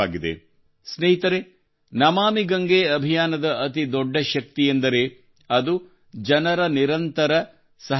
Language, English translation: Kannada, Friends, the biggest source of energy behind the 'Namami Gange' campaign is the continuous participation of the people